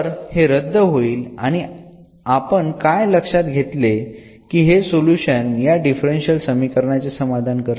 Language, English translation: Marathi, So, this will cancel out and what we observe that, this solution here which a satisfy satisfies this differential equation